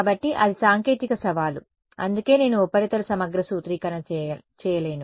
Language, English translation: Telugu, So, that is the technical challenge that is why I cannot do surface integral formulation